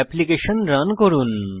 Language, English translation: Bengali, Run the application